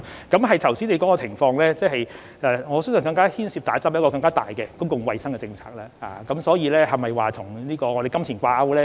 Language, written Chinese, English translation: Cantonese, 剛才你說的情況，我相信接種疫苗牽涉一個更大的公共衞生政策，所以，是否與金錢掛鈎呢？, With regards to the situation you mentioned just now I believe that the vaccination issue involves a major public health policy for that reason should it be linked with money?